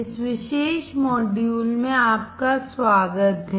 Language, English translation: Hindi, Welcome to this particular module